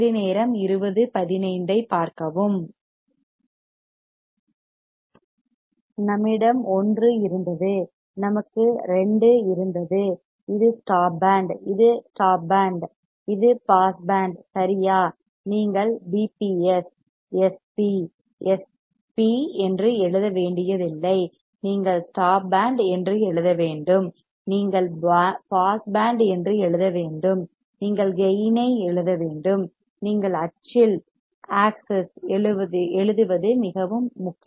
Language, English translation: Tamil, We have we had 1 and we had 2 and this was stop band, this was stop band this was pass band right you do not you do not have to write PBS SP S P you have to write stop band, you have to write pass band, you have to write gain, it is very important what you write on the axis